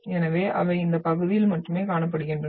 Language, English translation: Tamil, So they will be seen only in this region